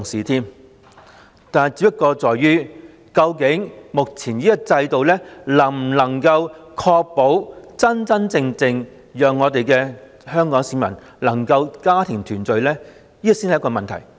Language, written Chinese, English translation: Cantonese, 不過，究竟目前這種制度能否真正確保香港市民能家庭團聚，這才是問題所在。, However is the present system really able to ensure family reunion? . This is where the question lies